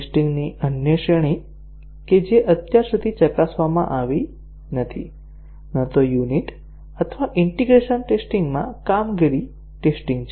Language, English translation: Gujarati, The other category of testing which are so far not been tested, neither in unit or integration testing are the performance tests